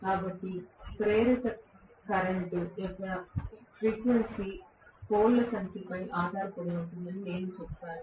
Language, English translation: Telugu, So, I would say the frequency of the induced current will depend upon the number of poles